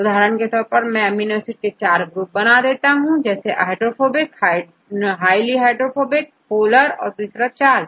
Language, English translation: Hindi, For example, I classify the amino acids into the 4 groups right, one is hydrophobic, one is highly hydrophobic and one is the polar and one is charged